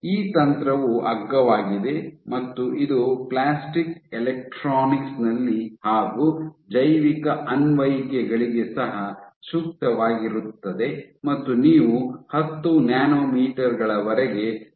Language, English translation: Kannada, So, this technique is cheap and it is well suited for bio applications, also is applications in plastic electronics and you can reach resolution up to order 10 nanometers ok